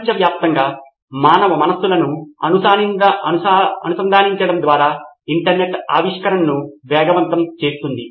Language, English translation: Telugu, The internet by connecting human minds all over the world, can only accelerate innovation